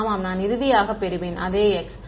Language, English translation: Tamil, Yeah, will I get finally, the same x